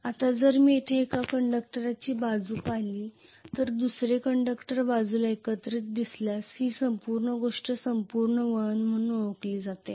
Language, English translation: Marathi, Now if I look at one conductor side here the other conductor side here together this entire thing is known as one turn complete turn